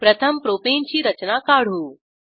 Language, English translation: Marathi, Lets first draw the structure of propane